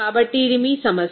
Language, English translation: Telugu, So, this is your problem